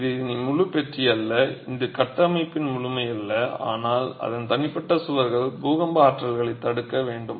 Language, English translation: Tamil, It is no longer the whole box, it is no longer the totality of the structure but its individual walls which will have to fend off the earthquake, earthquake forces